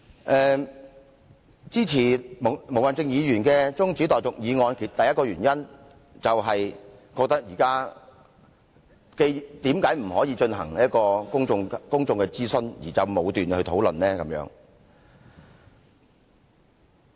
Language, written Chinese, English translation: Cantonese, 我支持毛孟靜議員提出中止待續議案的第一個原因，是認為為何不進行公眾諮詢，便武斷討論呢？, I support Ms Claudia MOs adjournment motion because first I simply wonder why we should rashly start a debate in the absence of any public consultation . I notice what Chief Executive Carrie LAM said earlier today